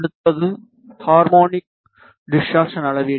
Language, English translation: Tamil, Next is harmonic distortion measurement